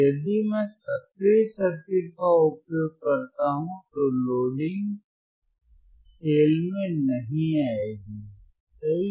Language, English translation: Hindi, iIf I use active circuit, the loading will not come into play, correct